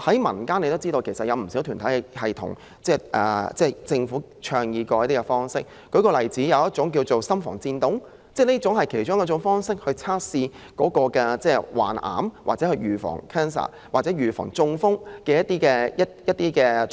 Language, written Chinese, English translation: Cantonese, 民間其實有不少團體建議政府採取一些方法，例如一種叫做"心房顫動"的測試，這是其中一種用以測試患癌、預防癌症或預防中風的方法。, In fact many community groups have made certain recommendations to the Government such as adopting atrial fibrillation screening which is used to diagnose and prevent cancer or prevent stroke